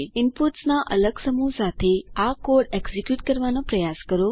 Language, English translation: Gujarati, Try executing this code with different set of inputs